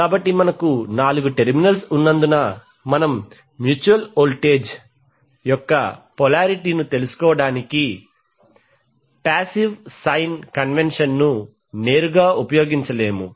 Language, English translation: Telugu, So since we have four terminals we cannot use the passive sign convention directly to find out the polarity of mutual voltage